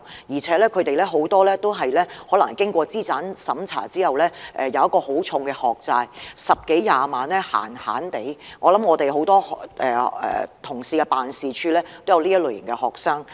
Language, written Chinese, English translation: Cantonese, 而且，很多年輕人經資產審查後，要負上很沉重的學債，動輒也要十多二十萬元，我相信很多同事的辦事處也有這類型的學生。, Moreover after being means - tested many young people have to bear heavy student loan debts amounting to 100,000 to 200,000 . I believe that there are such students in the offices of many Honourable colleagues